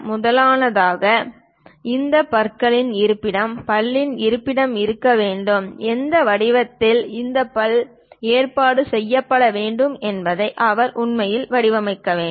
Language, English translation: Tamil, First of all, he has to really design where exactly these teeth location, tooth location supposed to be there and which form it this tooth has to be arranged